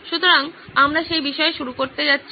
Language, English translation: Bengali, So we are going to start on that topic